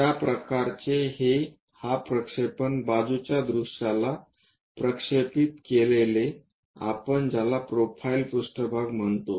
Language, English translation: Marathi, This kind of projection what we will call side view projected on to profile plane